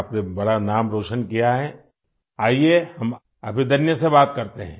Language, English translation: Hindi, You have made a big name, let us talk to Abhidanya